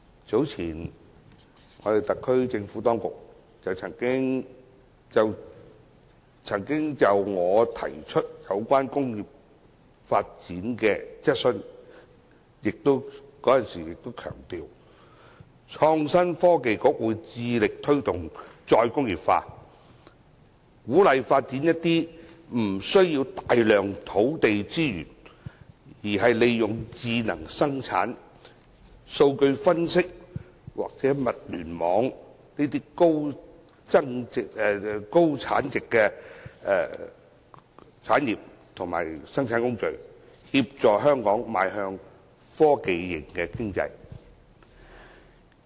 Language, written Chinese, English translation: Cantonese, 早前，特區政府就我提出有關工業發展的質詢，在回答時強調創新及科技局會致力推動"再工業化"，鼓勵發展一些不需要大量土地資源，而是利用智能生產、數據分析或物聯網的高增值產業或生產工序，協助香港邁向科技型經濟。, Some time ago in reply to my question on industrial development the SAR Government emphasized that the Innovation and Technology Bureau would be committed to promoting re - industrialization and encouraging the development of high value - added industries or manufacturing processes which made use of smart production data analysis or Internet of Things and did not require substantial land resources thereby facilitating the development of Hong Kong into a technology - based economy